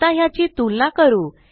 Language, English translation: Marathi, okay so lets compare these